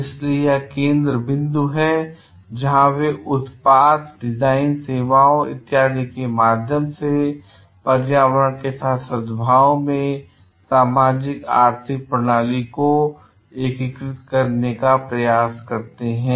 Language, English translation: Hindi, So, this is the focus where they try to like integrate the socioeconomic system in the harmony with the environment through the product design services etcetera